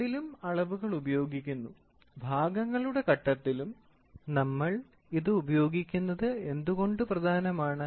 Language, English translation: Malayalam, Measurements are used at both, at part stage also we use why is it important